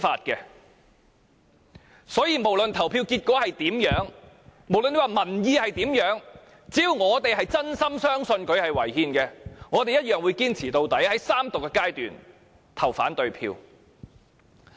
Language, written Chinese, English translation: Cantonese, 因此，不論投票結果是如何，民意是如何，只要我們是真心相信《條例草案》是違憲的，我們一樣會堅持到底，在三讀階段投下反對票。, Therefore regardless of the voting result or the public opinions as long as we truly believe that the Bill is unconstitutional; we will persist until the end and cast the opposing votes in the Third Reading